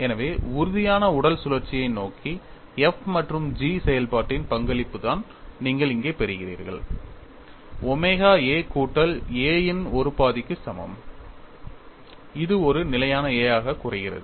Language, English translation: Tamil, So, the contribution of function f and g towards rigid body rotation is what you are getting it here, omega equal to one half of A plus A which reduces to a constant A